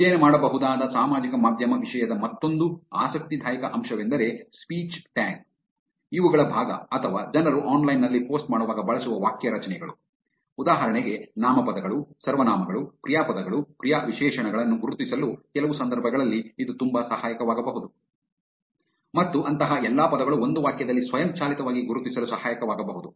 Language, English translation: Kannada, Another interesting aspect of social media content that can be studied is the part of speech tags or the sentence structures that people use while they are posting online, for example, it might be very helpful in some cases to identify nouns, pronouns, verbs, adverbs and all such words in a sentence automatically